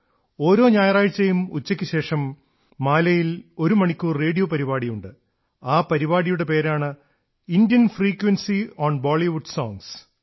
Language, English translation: Malayalam, Every Sunday afternoon, he presents an hour long radio program in Mali entitled 'Indian frequency on Bollywood songs